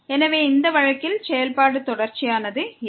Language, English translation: Tamil, So, in this case the function is not continuous